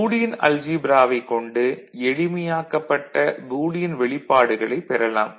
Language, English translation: Tamil, And algebraic manipulation helps to get a simplified a Boolean expression, Boolean algebra comes very handy in that